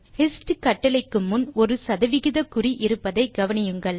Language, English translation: Tamil, So, Please note that there is a percentage sign before the hist command